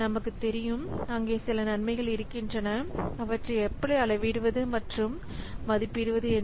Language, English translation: Tamil, So, we have known that there are some benefits which can be quantified and valued